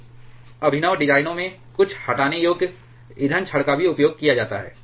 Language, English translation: Hindi, In certain innovative designs some removable fuel rods are also used